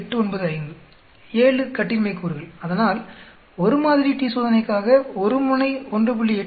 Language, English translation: Tamil, 895, 7 degrees of freedom, so for one sample t Test single tail 1